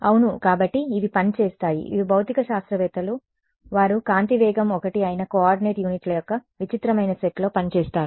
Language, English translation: Telugu, Yeah so, they work these are physicist they work in a strange set of coordinate units where speed of light is 1 ok